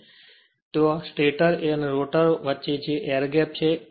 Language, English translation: Gujarati, So, there is a there is a gap in between the stator and rotor and that we call air gap right